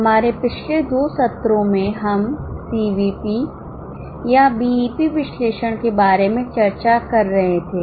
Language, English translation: Hindi, In our last two sessions, we were discussing about CVP or BEP analysis